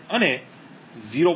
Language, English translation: Gujarati, 5 and 0